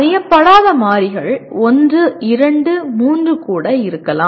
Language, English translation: Tamil, Unknown variables may be one, two, three also